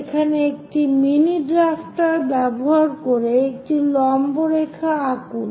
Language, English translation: Bengali, So, there using your mini drafter draw a perpendicular line this is the one